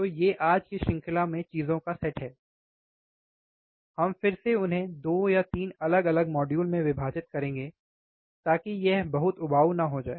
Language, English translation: Hindi, So, these are the set of things in today's series, we will again divide these into 2 or 3 different modules so that it does not become too boring